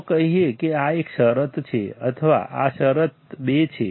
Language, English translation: Gujarati, Let us say this is condition one; this is condition two right